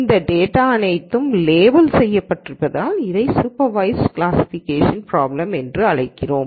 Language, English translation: Tamil, We call this a supervised classification problem because all of this data is labeled